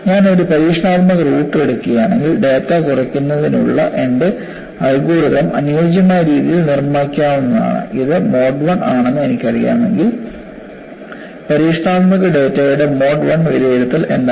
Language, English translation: Malayalam, If I take an experimental root, my algorithm for data reduction could be tailor made, if I know if it is mode 1, what is the mode 1 evaluation of experimental data